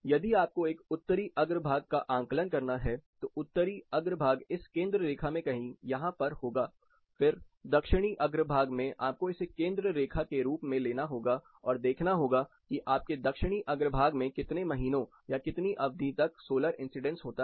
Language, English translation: Hindi, If you have to access a Northern façade, it will fall somewhere in this center line, again Southern facade you have to take this as a center line and see how many months or how much duration you have solar incidence on your Southern facade